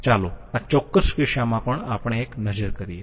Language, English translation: Gujarati, Let us have a look at at this particular case